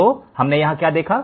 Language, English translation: Hindi, So, here what have we done